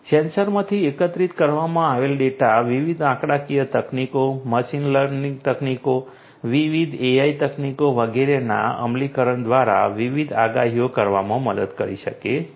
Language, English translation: Gujarati, The data that are collected from the sensors can help in performing different predictions through the implementation of different statistical techniques, machine learning techniques, different AI techniques and so on